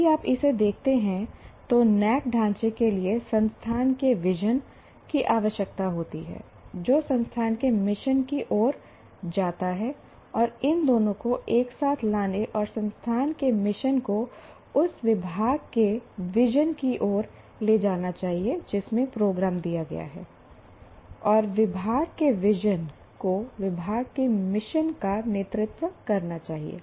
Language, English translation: Hindi, If you look at this, the NBA framework requires there has to be vision of the institute which leads to mission of the institute and these two together vision and mission of the institute should also lead to the vision of the department in which the program is given and vision of the department should lead to mission of the department